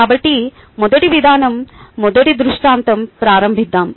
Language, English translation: Telugu, let us begin with the first scenario